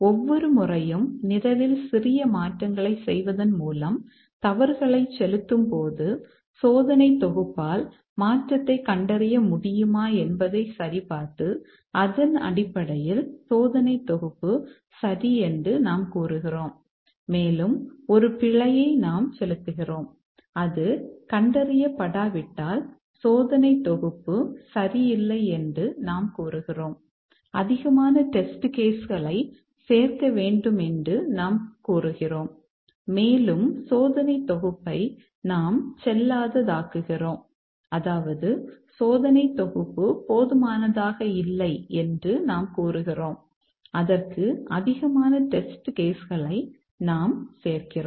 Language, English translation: Tamil, Given a program each time we inject faults by making small change in the program and then check whether the test suit is able to detect the change and then based on that we either say that the test suit is okay and we inject one more fault or we just say that the test suit is okay and if it is not detected we say that we need to add more test cases and we invalidate the test suit that is we say the test suit is not sufficient, we add more test cases to that